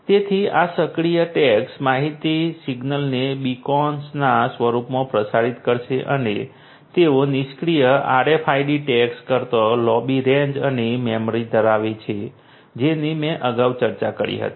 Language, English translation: Gujarati, So, these tags our active tags would broadcast the information signal in the form of beacons and they have longer range and memory than the passive RFID tags that I discussed previously